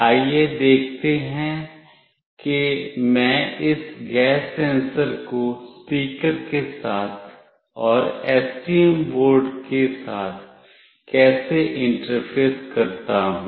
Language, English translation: Hindi, Let us see how do I interface this gas sensor along with the speaker and with a STM board